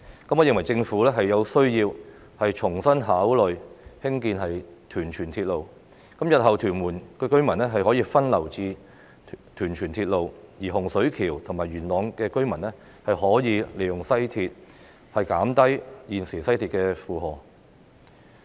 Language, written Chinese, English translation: Cantonese, 我認為政府有需要重新考慮興建屯荃鐵路，日後屯門居民的交通需求便可以分流至屯荃鐵路，而洪水橋及元朗的居民可以利用西鐵出行，減低現時西鐵的負荷。, I find it necessary for the Government to reconsider the construction of a Tuen Mun - Tsuen Wan railway so that the transport demand of Tuen Mun residents in the future can be diverted while residents in Hung Shui Kiu and Yuen Long can make use of the West Rail to travel thereby reducing the existing burden on the West Rail